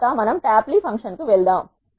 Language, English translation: Telugu, Next we move on to the tapply function